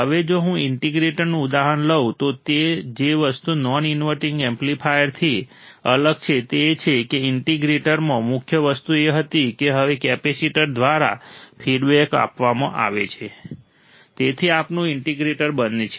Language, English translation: Gujarati, Now, if I take an example of the integrator the thing that is different from a non inverting amplifier is that the main thing in the integrator was that now the feedback is given through the capacitor, so that becomes our integrator